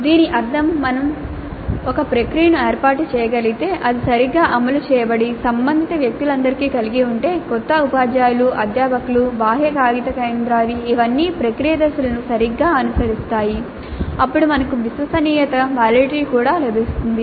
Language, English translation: Telugu, That essentially means that if we can set up a process, have it implemented properly and how all the relevant people, the new teachers, the faculty, the external paper setters, all of them follow the process steps properly, then we get validity as well as reliability